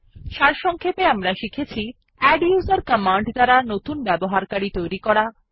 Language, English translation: Bengali, To summarise, we have learnt: adduser command to create a new user